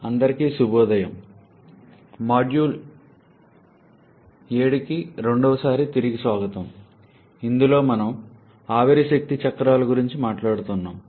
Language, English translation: Telugu, Good morning everyone, welcome back for the second time in the module number 7 where we are talking about the vapour power cycles